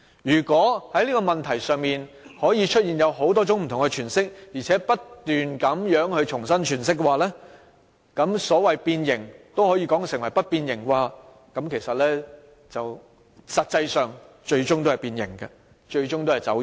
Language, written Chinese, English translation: Cantonese, 如果在這個問題上，有人可以提出多種不同詮釋，並不斷重新詮釋，把變形也說成不變形，最終"一國兩制"也是變形、走樣。, If people can propose many different interpretations and make incessant re - interpretations what has been distorted may be presented as not being distorted . Eventually one country two systems will be distorted and deformed